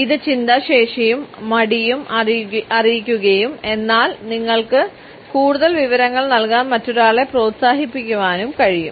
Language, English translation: Malayalam, It conveys thoughtfulness, even hesitation and somehow encourages the other person to give you more information